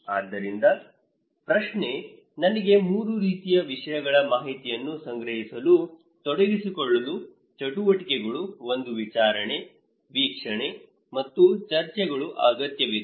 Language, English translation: Kannada, So, but the question is; I need 3 kind of things, activities to be involved to collect information; one is hearing, observation and discussions